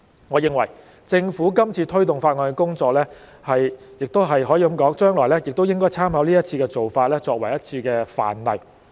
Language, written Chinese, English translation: Cantonese, 我認為政府今次推動法案的工作，亦可以說將來也應該參考這一次的做法，作為一個範例。, Regarding the Governments work in pressing ahead with the Bill this time around I think it can also be said that we should draw reference from the approach adopted in this exercise in the future . It should be taken as a model